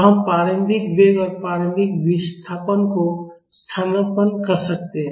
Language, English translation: Hindi, So, we can substitute the initial velocity and initial displacement